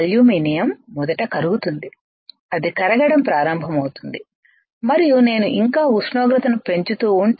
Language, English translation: Telugu, What will happen aluminum will first get melt it will start melting and if I still keep on increasing the temperature